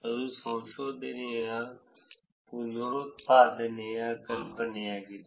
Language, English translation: Kannada, That is the idea for reproducibility of the research